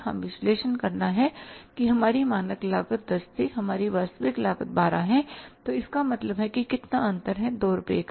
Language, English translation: Hindi, Now, we have to make analysis that our standard cost was 10, our actual cost is 12 so it means there is a difference of how much